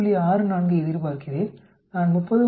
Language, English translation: Tamil, 64, I expect 30